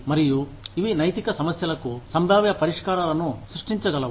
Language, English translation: Telugu, And, these can generate, potential solutions to ethical problems